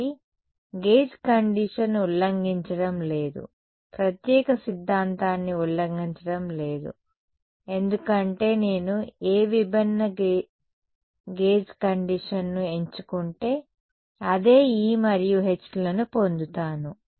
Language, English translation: Telugu, So, the gauge condition is not violating the is not violating the uniqueness theorem, because whatever different gauge condition I will choose I get the same E and H